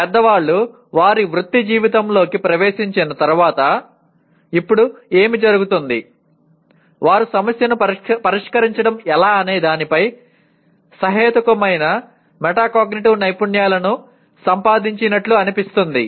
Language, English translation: Telugu, Now what happens grownup people once they get into their professional life they seem to have acquired reasonable metacognitive skills of how to go about solving a problem